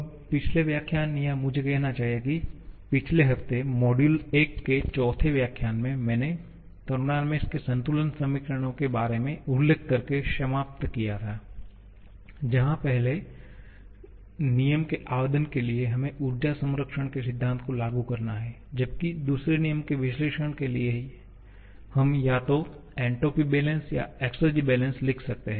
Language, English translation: Hindi, Now, the previous lecture or I should say the previous week, the fourth lecture of module 1, I finished by mentioning about the balance equations of thermodynamics where for the application of first law we have to apply the conservation of energy principle whereas for performing a second law analysis, we can write either entropy balance or exergy balance